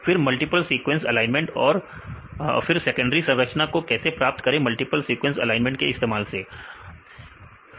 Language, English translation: Hindi, Then multiple sequence alignments, they how to get the secondary structure using multiple sequence alignments